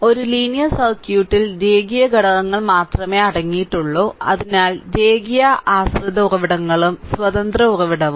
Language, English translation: Malayalam, So, a linear circuit consist only linear elements; so, linear dependent sources and independent source